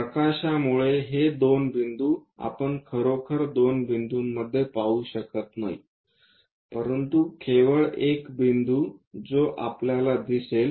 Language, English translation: Marathi, These two points because of light we cannot really see into two points, but only one point as that we will see